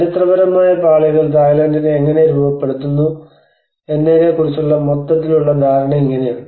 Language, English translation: Malayalam, So this is how the overall understanding of how the historical layers have been framing Thailand